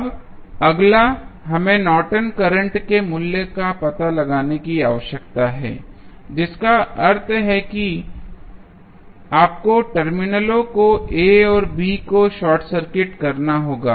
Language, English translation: Hindi, Now, next is we need to find out the value of Norton's current that means you have to short circuit the terminals A and B